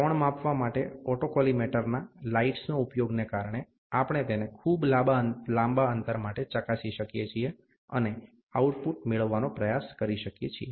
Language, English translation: Gujarati, Because of the autocollimator use of lights to measure an angle, we can test it for a very long distance, and try to get the output